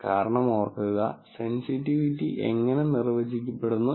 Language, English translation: Malayalam, The reason is, remember, how sensitivity is defined